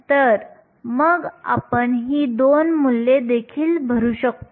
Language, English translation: Marathi, So, then we can fill in these 2 values as well